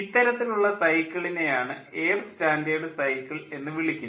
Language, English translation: Malayalam, this kind of cycle is called air standard cycle